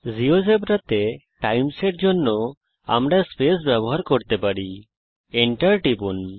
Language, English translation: Bengali, For times in geogebra we can use the space, and press enter